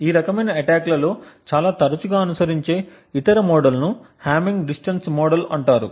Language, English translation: Telugu, The other model that is quite often followed in these kind of attacks is known as the hamming distance model